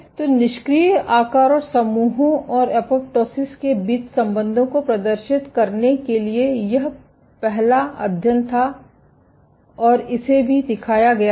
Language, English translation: Hindi, So, this was the first study to demonstrate the relationship between idle size and islands and apoptosis and what it was also shown